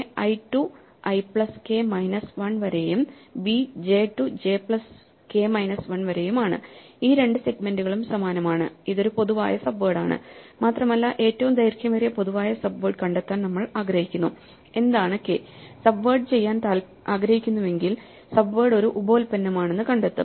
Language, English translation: Malayalam, So, i to i plus k minus 1 and b j to j plus k minus 1 such that, these two segments are identical, this is a common subword and we want to find the longest such common subword, what is the k, we do not even want to subword, will find that subword will be a byproduct